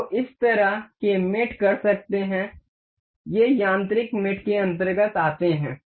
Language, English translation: Hindi, So, could do this kind of mates these are these come under mechanical mates